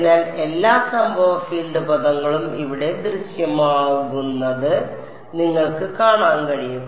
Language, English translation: Malayalam, So, you can see all the incident field terms are going to appear here